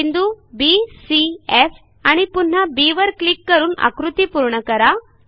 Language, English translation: Marathi, Click on the points B C F and B once again to complete the figure